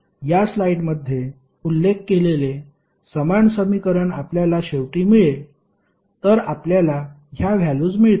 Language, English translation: Marathi, You will eventually get the same equation which is mentioned in this slide, so you will get these values